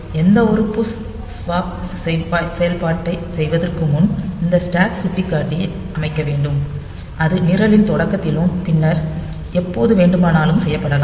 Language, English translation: Tamil, So, for so, before doing any push swap operation the program should first set this stack pointer and that may be done at the beginning of the program and later on when it is